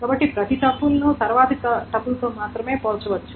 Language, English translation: Telugu, So each tuple is compared with only the next triple